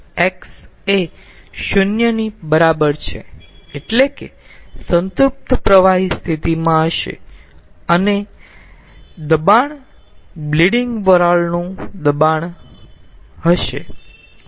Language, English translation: Gujarati, x is equal to zero, that means it will be at the saturated liquid condition and pressure will be the pressure of the extracted steam or bleed steam